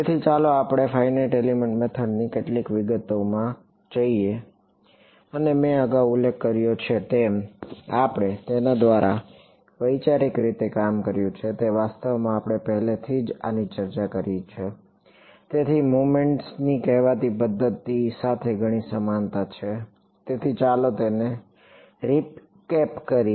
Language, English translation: Gujarati, So, let us get into some of the details of this Finite Element Method and as I had mentioned much earlier, the conceptual way we worked through it is actually very similar to what we already discussed this so, what so called method of moments; so, let us just recap that